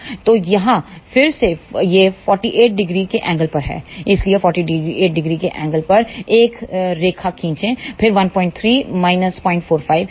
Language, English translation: Hindi, So, again this one here is at an angle of 48 degree so, draw a line at an angle of 48 degree then 1